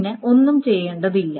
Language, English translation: Malayalam, Nothing needs to be done